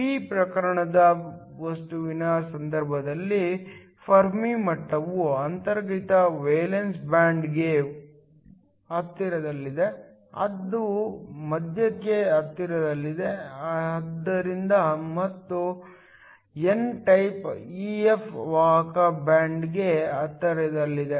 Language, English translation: Kannada, In the case of a p type material, the Fermi level is close to the valence band for an intrinsic, it is close to the middle, and for an n type EF is close to the conduction band